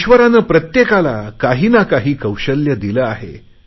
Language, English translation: Marathi, God has gifted each one of us with a unique talent